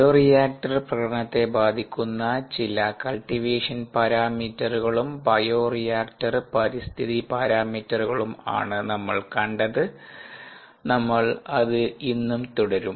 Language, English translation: Malayalam, we saw a few cultivation parameters or bioreactor environment parameter as they are called that affect bioreactor performance